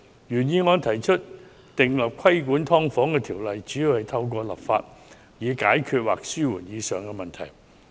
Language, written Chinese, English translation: Cantonese, 原議案提出訂立規管"劏房"的條例，主要透過立法解決或紓緩上述問題。, The original motion has proposed the enactment of an ordinance on regulating subdivided units which mainly seeks to resolve or alleviate the aforesaid problems by way of legislation